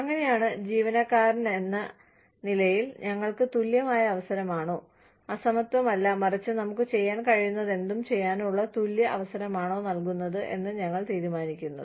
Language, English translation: Malayalam, So, that is how, we as employees decide, whether we are being given an equal opportunity, not unequal, but, an equal opportunity to do, whatever we can do